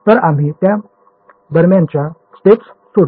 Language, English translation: Marathi, So, those intermediate steps we have skipped in between